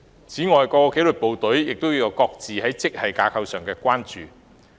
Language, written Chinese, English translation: Cantonese, 此外，各紀律部隊亦各自就本身的職系架構有所關注。, Besides the disciplined services have their own concerns with their departmental grades